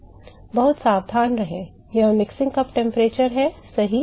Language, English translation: Hindi, Be very careful this is the mixing cup temperature right